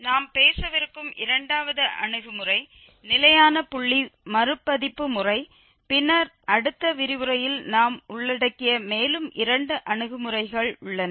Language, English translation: Tamil, The second approach we will be talking about the fixed point iteration method, and then there are two more approaches which we will cover in the next lecture